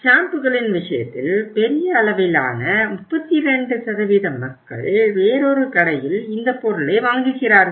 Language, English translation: Tamil, In case of the shampoos we have seen here that uh 32% of the people buy the product at another store, again a big chunk